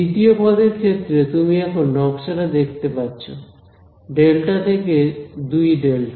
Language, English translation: Bengali, Second term will be now you can see the pattern delta to 2 delta